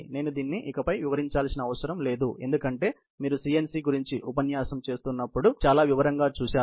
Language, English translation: Telugu, I need not illustrate this anymore, because you have done in great details in CNC, while doing that lecture